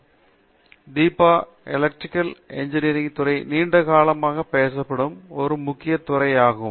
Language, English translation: Tamil, So, Deepa in Electrical Engineering it ‘s of course, field of engineering that is being around for a very long time